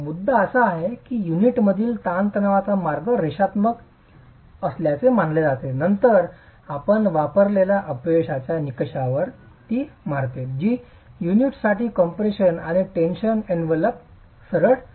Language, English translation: Marathi, The point is the stress path in the unit is assumed to be linear and then it hits the failure criterion that we have used which is the straight line in compression and tension envelope for the unit